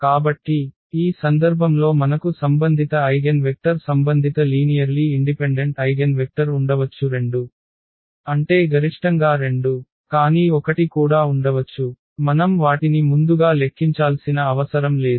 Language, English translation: Telugu, So, in this case we have the possibility that the corresponding eigenvectors the corresponding linearly independent eigenvectors there may be 2, I mean at most 2, but there may be 1 as well, we do not know now in advance we have to compute them